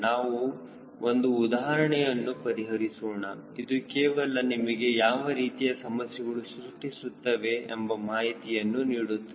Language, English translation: Kannada, we will solve an example which is just to show you what sort of issues are coming